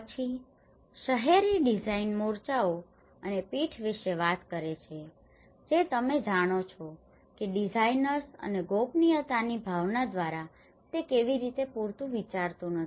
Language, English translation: Gujarati, Here, the urban design issues talks about the fronts and backs you know how it is not sufficiently thought by the designers and a sense of privacy